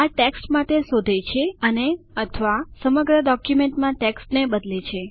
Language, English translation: Gujarati, It searches for text and/or replaces text in the entire document